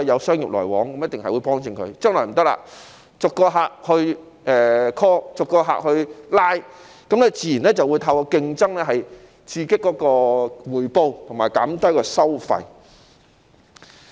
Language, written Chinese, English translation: Cantonese, 將來不行了，要逐個客 call， 逐個客拉攏，自然便會透過競爭刺激回報和減低收費。, It will not be the case in the future . They will have to make warm calls and win over each client and naturally competition will stimulate returns and reduce fees and charges